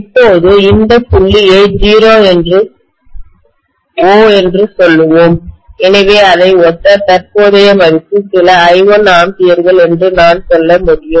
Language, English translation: Tamil, Now let me call this point as let us say O, so corresponding to this, I can say the current value is probably some I1 amperes, right